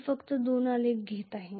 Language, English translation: Marathi, I am just taking two graphs